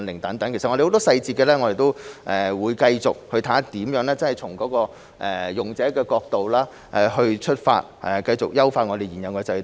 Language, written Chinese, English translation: Cantonese, 其實，我們會繼續審視細節，從用者的角度出發，繼續優化現有的制度。, In fact we will continue to examine the details and continue to enhance the existing system from the user perspective